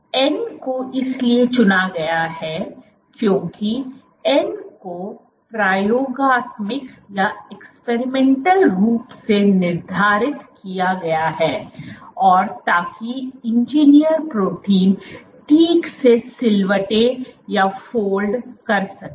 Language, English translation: Hindi, So, n is chosen as n is experimentally determined so as to ensure the engineered protein folds properly